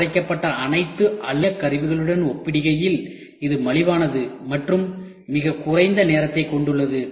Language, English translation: Tamil, In comparison to milled all aluminium tool it is cheaper and has a much shorter lead time